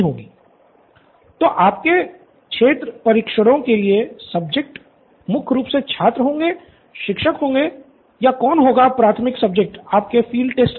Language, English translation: Hindi, So for your field tests will the subjects be primarily students, teachers or who will your primary subjects be for them